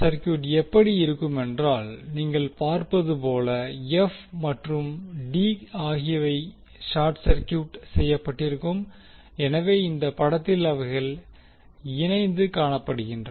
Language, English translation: Tamil, The circuit will look like now as you can see in the figure f and d are short circuited so they are clubbed together in the particular figure